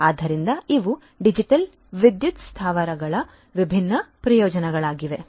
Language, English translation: Kannada, So, these are these different benefits of digital power plants